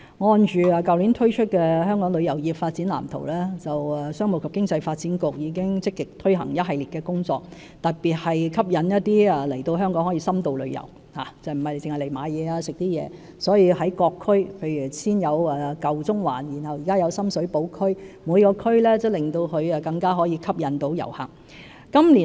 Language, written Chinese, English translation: Cantonese, 按照去年推出的《香港旅遊業發展藍圖》，商務及經濟發展局已積極推行一系列工作，特別是吸引旅客來香港作深度旅遊，而並非只是來購物或飲食，所以各區——例如先有舊中環，現有深水埗區——也更能吸引遊客。, In accordance with the Development Blueprint for Hong Kongs Tourism Industry released last year the Commerce and Economic Development Bureau has been proactively implementing a series of initiatives to attract visitors in particular for in - depth tourism instead of merely for shopping or dining . Therefore every district for instance old Central and then Sham Shui Po District will become more attractive to visitors